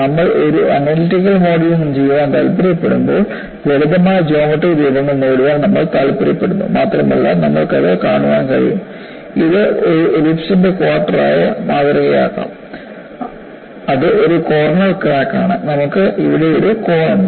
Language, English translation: Malayalam, You know, when we want to do a analytical modeling, we would like to have simple geometric shapes and you can really see that, this could be modeled as quarter of an ellipse; it is a corner crack, you have a corner here